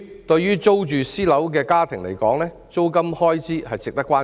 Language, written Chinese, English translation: Cantonese, 對於租住私樓的家庭而言，租金開支值得關注。, In respect of families living in rented private premises the rent expenses are a cause for concern